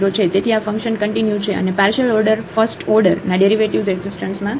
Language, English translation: Gujarati, So, this function is continuous and the partial order first order derivatives exist